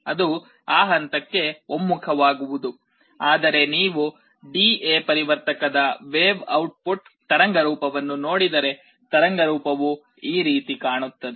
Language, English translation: Kannada, It gets converged to that point, but if you look at the output waveform of the D/A converter, the waveform will look like this